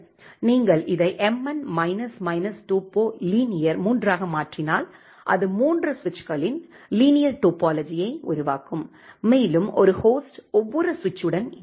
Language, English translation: Tamil, If you make it as mn minus minus topo linear 3, it will create a linear topology of the three switches and one host will connect with each of the switch